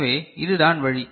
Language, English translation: Tamil, So, this is the way